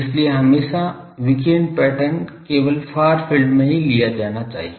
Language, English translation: Hindi, So, always radiation pattern should be taken only at the far field